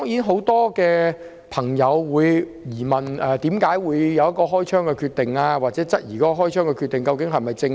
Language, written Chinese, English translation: Cantonese, 很多市民質疑該警員為何決定開槍，又或質疑開槍的決定是否正確。, Many members of the public queried why that police officer decided to shoot or whether the decision to shoot was correct